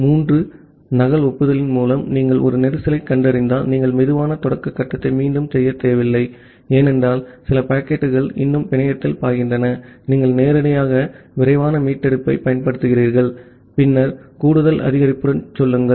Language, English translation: Tamil, And if you are detecting a congestion through triple duplicate acknowledgement, you do not need to again perform the slow start phase, because some packet are still flowing in the network, you directly apply fast recovery, and then move with the additive increase